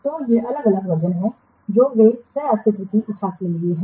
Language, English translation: Hindi, So, these are the different versions they are intended to coexist